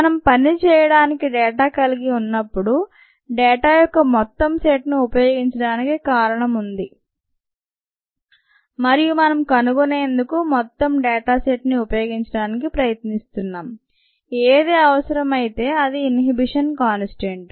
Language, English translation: Telugu, that's the reason why we need to use the entire set of data whenever we have data to work with, and we are trying to use the entire set of data to find whatever is necessary here, which is the inhibition constant, to do that